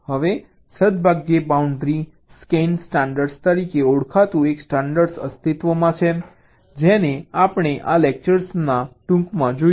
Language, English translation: Gujarati, now, fortunately, such a standard exists, called the boundary scan standard, which we shall be looking at briefly in this lecture